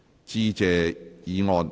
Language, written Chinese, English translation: Cantonese, 致謝議案。, Motion of Thanks